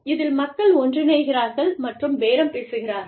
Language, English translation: Tamil, So, people get together, and bargain